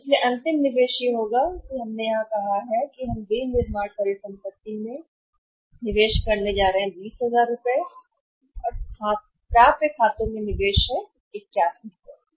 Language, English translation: Hindi, So, finally investment will be we have said here that investment we are making in the manufacturing asset is 20000 and investment in the accounts receivables is 8100 right